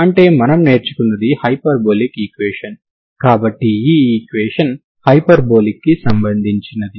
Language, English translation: Telugu, So that means what we learned is it is hyperbolic equation, so equation is hyperbolic